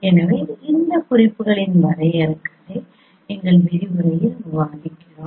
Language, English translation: Tamil, So we discussed you know the definitions of this notation in our lecture